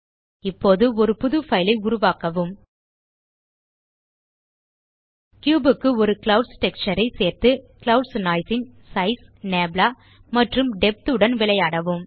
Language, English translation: Tamil, Now you can go ahead and create a new file add a clouds texture to the cube and play around with Size, Nabla and Depth of the Clouds Noise